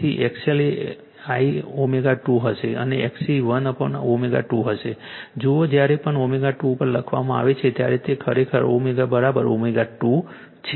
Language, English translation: Gujarati, So, XL will be l omega 2 and XC will be 1 upon omega 2 see this is actually whenever writing at omega 2 means it is omega is equal to omega 2